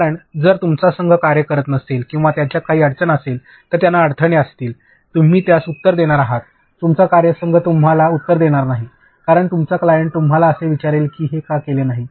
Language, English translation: Marathi, Because, if your team does not work or if they have glitches, they have roadblocks (Refer Time: 12:49) you are going to answer that, your team is not going to answer because your client will ask you why this is not done, they are not going to go and ask your team